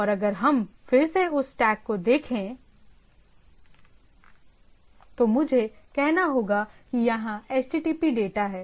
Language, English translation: Hindi, And if we look at again some again that stack view, so I have say there is a HTTP data